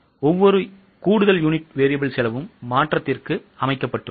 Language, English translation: Tamil, So, with every extra unit variable cost is set to change